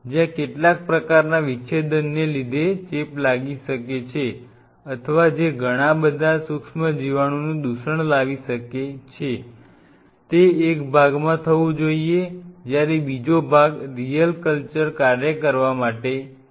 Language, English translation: Gujarati, The part one where some of the kind of dissections which may cause infections or which may cause a lot of microbial contamination should be done in one part whereas, the other part is dedicated for doing the real culture work